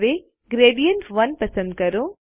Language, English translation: Gujarati, Now select Gradient1